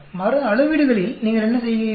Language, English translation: Tamil, What do you do in repeated measurements